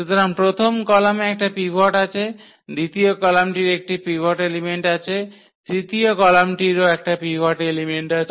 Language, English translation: Bengali, So, getting again back to this pivot elements so, the first column has a pivot, second column has also pivot element and the third column also has a pivot element